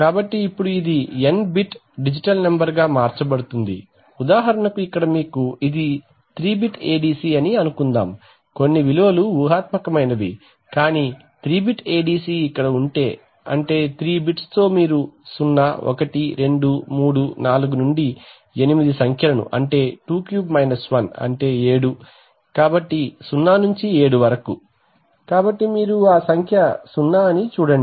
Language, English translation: Telugu, So now it gets converted to an N bit digital number right, so for example here is the case that suppose you have this is a 3 bit ADC right, some are hypothetical but 3 bit ADC where so which means, so with 3 bits you can represent eight numbers 2 to the power 3 right, from 0 1 2 3 4 up to 23 1 that is 7, so 0 to 7, so you see that the number 0